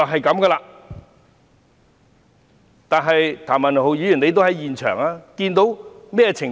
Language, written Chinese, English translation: Cantonese, 譚文豪議員在現場，他看到甚麼情況？, Mr Jeremy TAM was at the scene what did he see?